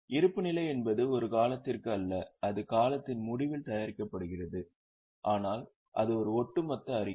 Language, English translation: Tamil, Balance sheet is not for a period, it is prepared at the end of the period but it is a cumulative statement